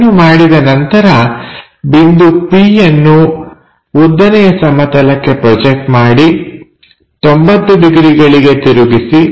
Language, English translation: Kannada, Once, it is done what we have to do project point p onto vertical plane, rotate it by 90 degrees